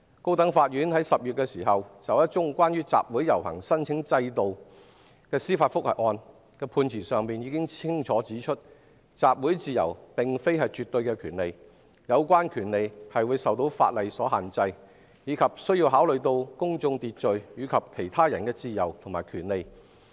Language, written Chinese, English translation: Cantonese, 高等法院在10月就一宗有關集會遊行申請制度的司法覆核案，已經在判詞中清楚指出，集會自由並非絕對的權利，有關權利受法例所限制，也受制於公眾秩序及其他人自由和權利的考慮。, In October the High Courts judicial review of the application requirement for assembly and procession clearly stated in its judgment that freedom of assembly is not an absolute right and that relevant rights are restricted by law and subject to public order and the freedom and rights of others